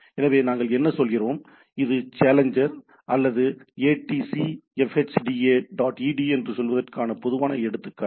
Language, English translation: Tamil, So, what we have say, if this is a typical example of say challenger or “atc fhda dot edu”